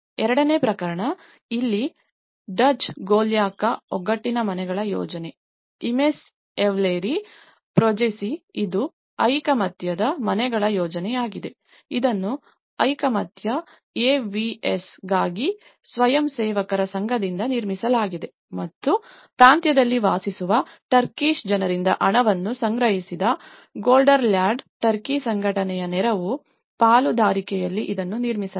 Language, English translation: Kannada, The second case; Duzce Golyaka solidarity houses project here, the Imece Evleri Projesi which is a solidarity houses project, it was constructed by the association of volunteers for solidarity AVS and within partnership in Gelderland Aid of Turkey Organization which has collected money from Turkish people living in province of, so they have people who are living in overseas, they have collected certain funds